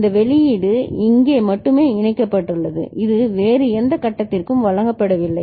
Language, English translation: Tamil, These output is only linked here, it is not fed back to any other stage right